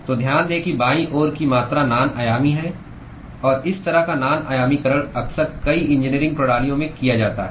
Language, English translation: Hindi, So, note that the quantity on the left hand side is non dimensional; and this kind of non dimensionalization is often done in many engineering systems